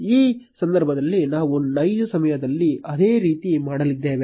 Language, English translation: Kannada, In this case we are going to do the same in real time